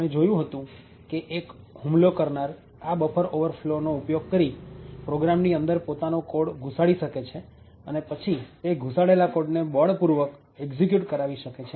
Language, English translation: Gujarati, So, what we seen was that an attacker could use this buffer overflows to inject code into a program and then force that particular code to execute